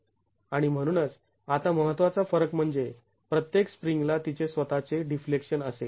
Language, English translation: Marathi, And so now the important difference is each spring will have its own deflection